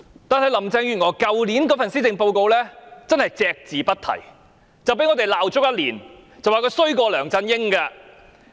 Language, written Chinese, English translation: Cantonese, 但是，林鄭月娥去年的施政報告隻字不提，因此被我們罵足一年，說她比梁振英更差。, Carrie LAMs Policy Address of last year was nonetheless silent on this matter and this is why we have reproached her for one whole year saying that she was even worse than LEUNG Chun - ying